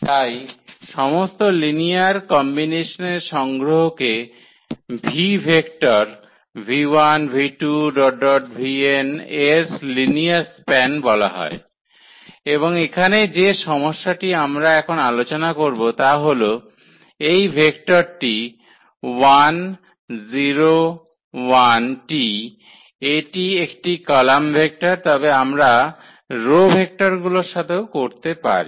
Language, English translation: Bengali, Exactly so, the collection of all linear combinations is called the linear span of v vectors v 1, v 2, v 3, v n and the problem here we will discuss now, is this vector 1, 0, 0 transpose just to tell that this is a column vector, but we can do also with the row vectors